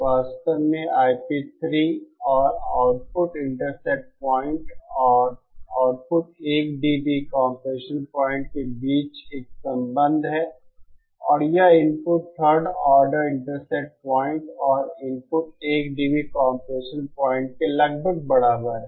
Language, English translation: Hindi, In fact, there is a relationship between I p 3 and output intercept point and the output 1 dB compression point and that is nearly equal to the input third order intercept point and the input 1 dB compression point